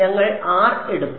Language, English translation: Malayalam, We took R